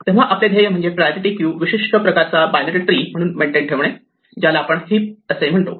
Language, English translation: Marathi, So, our goal is to maintain a priority queue as a special kind of binary tree which we will call a heap